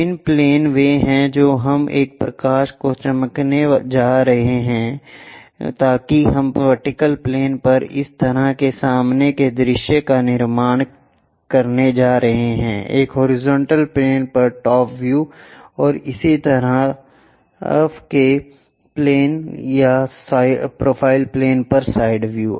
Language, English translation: Hindi, The different planes are what we are going to shine a light, so that we are going to construct such kind of front views on to the vertical planes, top views on to a horizontal plane, and side views on to this side planes or profile planes